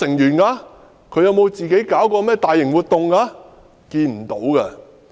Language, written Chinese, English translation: Cantonese, 陳浩天有否舉辦過大型活動？, Has Andy CHAN organized any major events?